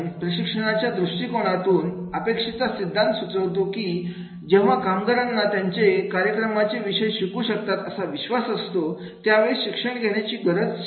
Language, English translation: Marathi, From a training perspective, expectancy theory suggests that learning is most likely to occur when employees believe they can learn the content of the program, right